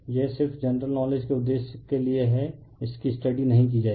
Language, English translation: Hindi, This is just for purpose of general knowledge will not study that